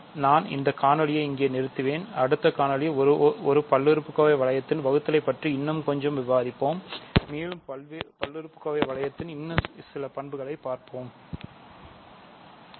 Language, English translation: Tamil, So, I will stop this video here and in the next video we will discuss a little bit more about division inside a polynomial ring and we will study a few more properties of the polynomial ring Thank you